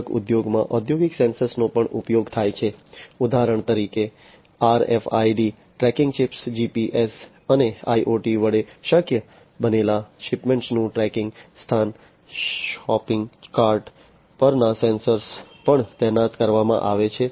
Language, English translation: Gujarati, In the retail industry also industrial sensors are used, for example, RFID tracking chips, tracking location of shipments made possible with GPS and IoT, sensors on shopping cart are also deployed